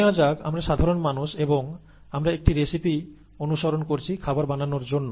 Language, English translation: Bengali, Let us say that we are average people, we are following a recipe to cook a dish